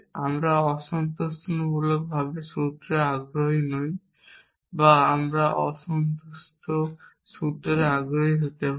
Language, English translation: Bengali, We are not interested in unsatisfiable formulas or are we could we interested in unsatisfiable formula